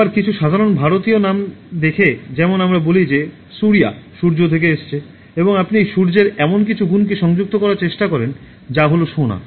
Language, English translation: Bengali, Again, looking at some typical Indian names, let us say Surya is from the Sun and you then try to link some quality of Sun that is gold